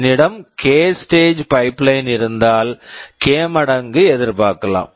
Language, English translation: Tamil, If I have a k stage pipeline, I can expect to have k times speedup